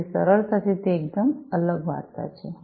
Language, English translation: Gujarati, So, easily it’s a completely different story altogether